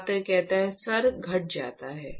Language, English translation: Hindi, Sir it decreases